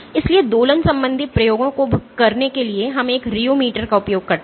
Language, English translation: Hindi, So, for doing oscillatory experiments we make use of a rheometer